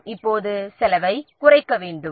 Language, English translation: Tamil, So, what you have to do, we have to now reduce the cost